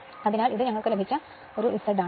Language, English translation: Malayalam, Therefore, this is my Z we got